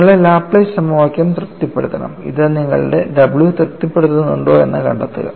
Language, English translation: Malayalam, And if you substitute it in the Laplace equation, this completely satisfies, if you substitute the what is w